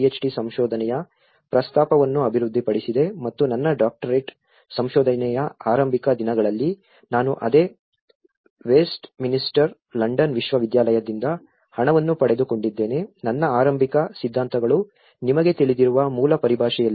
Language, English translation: Kannada, D research and in the very early days of my Doctoral research which I got funded from the same University of Westminster London, my initial theories were in the basic terminology you know